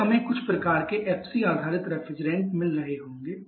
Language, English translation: Hindi, Then we shall be having some kind of FCS refrigerant